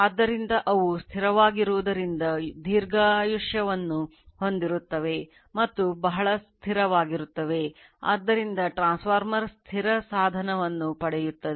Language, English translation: Kannada, So, being static they have a long life and are very stable so, the transformer get static device